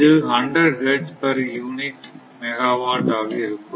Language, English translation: Tamil, 5 hertz, but it picked up 100 megawatt